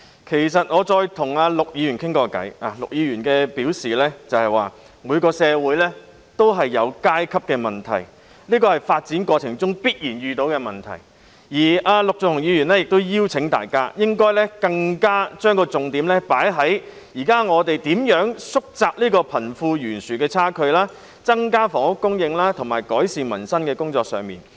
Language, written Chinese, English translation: Cantonese, 其實，我跟陸議員交談過，陸議員表示，每個社會都有階級問題，這是發展過程中必然出現的問題而陸議員請大家將重點放在我們現在應如何縮窄貧富懸殊的差距，增加房屋供應，以及改善民生的工作上。, In fact I have talked with Mr LUK about it . According to him the issue of social class can be found in every society and it is a corollary of the process of social development so he would like to ask Members to focus on how we can narrow the wealth gap increase the supply of housing and improve peoples livelihood